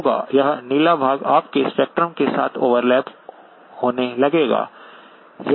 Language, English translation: Hindi, This blue portion will start overlapping with your spectrum